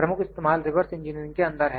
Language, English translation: Hindi, The major application is in reverse engineering